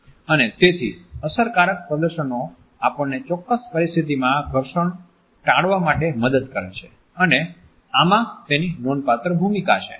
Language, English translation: Gujarati, And therefore, effective displays help us to avoid friction in a particular situation and this is there significant role